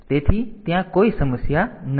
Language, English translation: Gujarati, So, there is no problem and